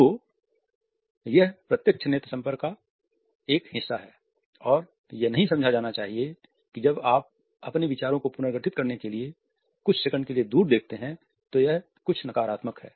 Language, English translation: Hindi, So, this is a part of the direct eye contact and it should not be thought that even while you are looking away for a couple of seconds in order to reorganize your ideas, it is something negative